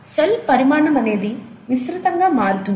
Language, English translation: Telugu, So it widely varies, the cell size widely varies